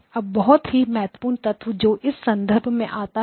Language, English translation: Hindi, Now very important element that comes about in this context